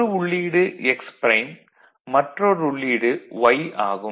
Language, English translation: Tamil, So, one is x prime, another is y